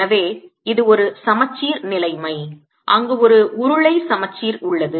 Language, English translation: Tamil, so this is a symmetry situation where there is a cylindrical symmetry